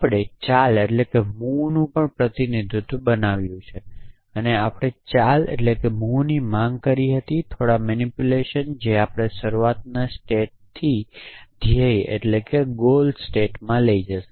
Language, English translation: Gujarati, We created the representation of the move and we move sought did some manipulation which would take us from the start state to the goal state